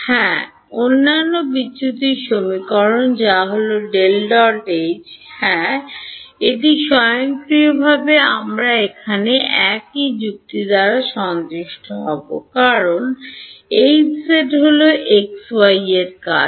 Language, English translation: Bengali, Yes the other divergence equation which is what, del dot H right, that will automatically we satisfied here by the same logic because H z is the function of x y